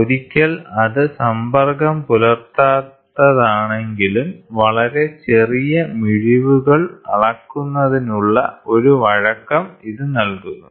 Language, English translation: Malayalam, So, once it is non contact then, it gives you a flexibility of measuring very small resolutions